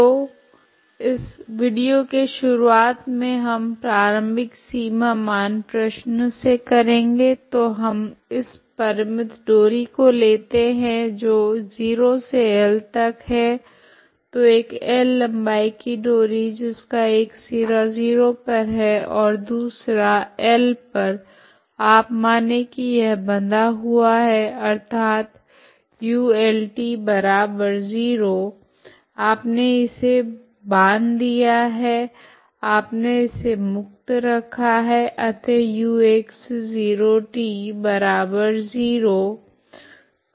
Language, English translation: Hindi, boundary value problem so that is consider problem we have this consider this finite string so let us today let us chose from 0 to L, so a string of length L which is one end is at 0, other end is at L you consider this one end you fix it as u at L equal to 0 so you fix it this end you make it free so that is u x at 0 equal to 0